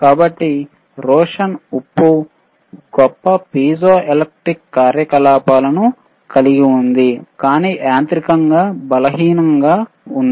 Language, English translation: Telugu, So, Rochelle salt has the greatest piezoelectric activity, but is mechanically weakest